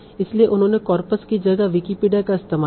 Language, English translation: Hindi, So what they did in place of their coppers, they used Wikipedia